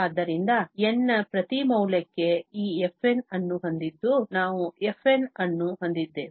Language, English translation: Kannada, So, having this fn for each value of n, we have fn, that means f1, f2, f3 and so on